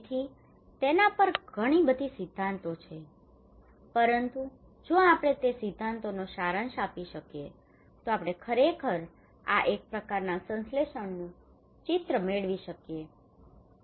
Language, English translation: Gujarati, So there are a lot of theories on that, but if we can accumulate those theories summarise them we can actually get a picture of a kind of synthesis of this one